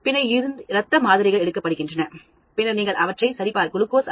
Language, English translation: Tamil, Then, the blood samples are taken, and then you check their glucose level